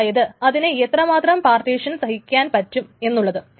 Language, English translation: Malayalam, So, partition, so how much it can tolerate partitions